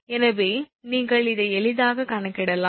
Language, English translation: Tamil, So, you can easily compute this one